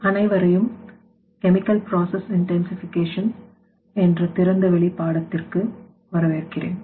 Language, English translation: Tamil, Welcome to massive open online course on Chemical Process Intensification